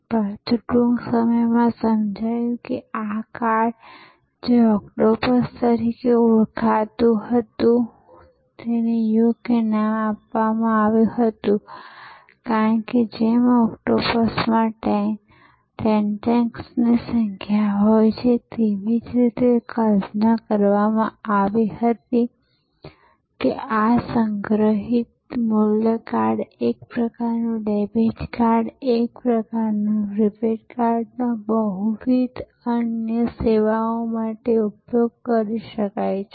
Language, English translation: Gujarati, But, soon it was understood that this card, which was called octopus and rightly named because just as an octopus had number of tentacles, it was conceived that this stored value card, sort of a debit card, sort of a prepaid card could be used for multiple other services